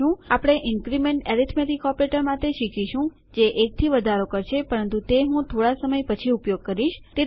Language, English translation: Gujarati, Well learn about the increment arithmetic operator which increments by 1 but Ill use that a little later